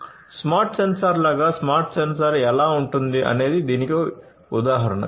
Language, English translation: Telugu, So, this is how is this is how a smart sensor would look like a smart sensor this is an example of it